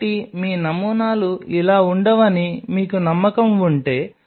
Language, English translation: Telugu, So, if you are confident that your samples will not be like this